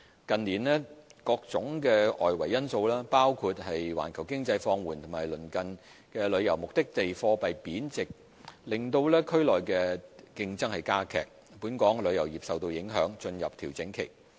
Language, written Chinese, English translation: Cantonese, 近年，各種外圍因素，包括環球經濟放緩和鄰近旅遊目的地貨幣貶值令區內競爭加劇，本港旅遊業受到影響進入調整期。, In recent years a number of external factors including subpar global economic growth and intensifying regional competition posed by neighbouring tourist destinations as a result of the depreciation of their currencies have affected our tourism industry and prompted it to enter a period of consolidation